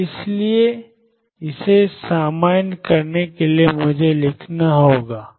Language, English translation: Hindi, And therefore, to normalize it, I have to write